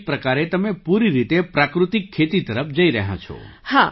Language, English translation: Gujarati, So in a way you are moving towards natural farming, completely